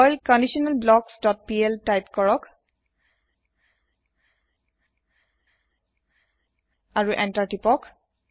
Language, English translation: Assamese, Type perl conditionalBlocks dot pl and press Enter